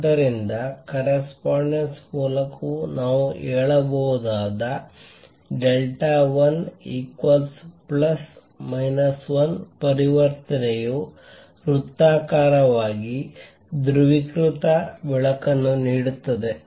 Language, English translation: Kannada, So, we can say also by correspondence delta l equals plus minus 1 transition will give circularly polarized light